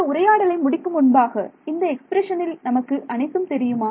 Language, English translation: Tamil, In this so, finally, before we end this discussion, in this expression do we know everything